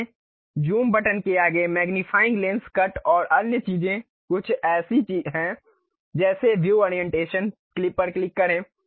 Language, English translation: Hindi, Next to your Zoom buttons, magnifying lens, cut and other thing there is something like View Orientation, click that